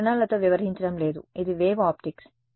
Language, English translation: Telugu, We are not dealing with rays this is wave optics